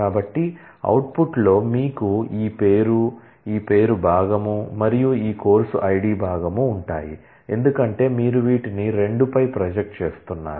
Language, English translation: Telugu, So, in the output you will have this name, this name part and this course id part because, you are projecting on these 2